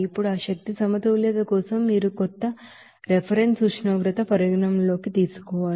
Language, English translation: Telugu, Now, for that energy balance you have to consider some reference temperature